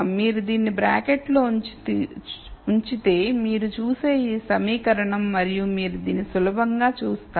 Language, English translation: Telugu, So, this equation you would see is if you put this in a bracket and you will see this easily